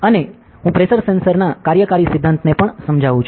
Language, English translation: Gujarati, And also I will be explaining about the working principle of a pressure sensor ok